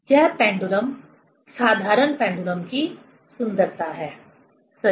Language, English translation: Hindi, This is the beauty of the pendulum, simple pendulum, right